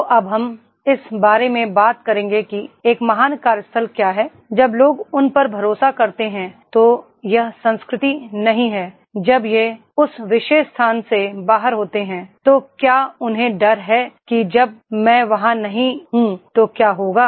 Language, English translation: Hindi, ) So now we will talk about what is a great workplace, when people they trust, it is not the culture when they are out from that particular place that is they have fear that what will happen when I am not there